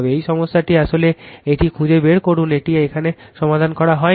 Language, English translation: Bengali, This problem actually you find it out this is not solved here right